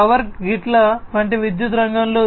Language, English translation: Telugu, In the power sector like power grids etc